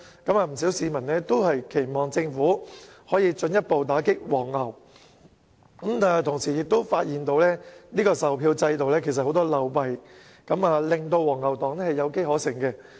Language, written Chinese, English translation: Cantonese, 不少市民均期望政府進一步打擊"黃牛"，卻同時發現售票制度漏弊叢生，令"黃牛黨"有機可乘。, It is the hope of many people that the Government can further combat scalping activities . But at the same time many loopholes are found in the ticket selling system thus giving scalpers a chance to exploit the system